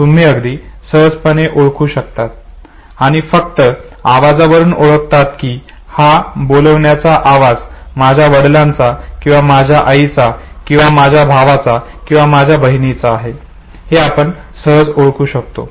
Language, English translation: Marathi, You would very easily find out recognized just on the basis of the voice that this is the calling sound of my father or my mother or my brother or my sister, okay